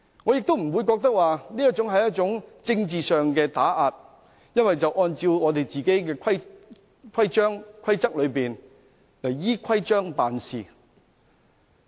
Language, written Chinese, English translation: Cantonese, 我不認為這是一種政治上的打壓，而是按照我們的規章、規則辦事。, I do not consider it political oppression . Rather we are acting in accordance with our codes and rules